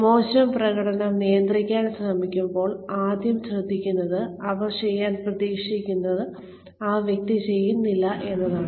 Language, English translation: Malayalam, When, we are trying to manage poor performance, the first thing, we notice is that, the person does not do, what they are expected to do